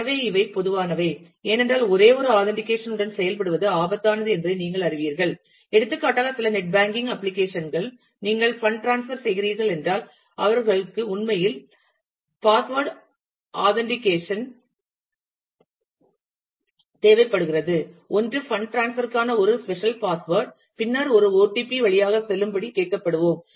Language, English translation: Tamil, So, these are common because, you know it is risky to work with just a single authentication, and you will find that some net banking applications for example, if you are doing a fund transfer, then they actually require two additional password authentication, one is a special password for fund transfer, and then possibly we will be asked to go through an OTP